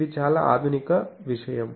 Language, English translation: Telugu, This is a very modern thing